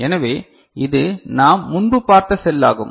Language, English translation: Tamil, So, this is the cell that we had seen before